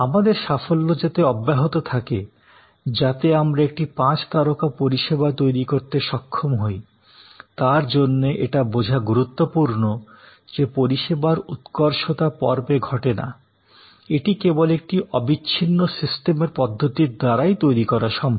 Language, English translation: Bengali, So, that our success is continues, we are able to create a five star service and it is important to understand that service excellence is not episodic, it is a continues systems approach that can only produce it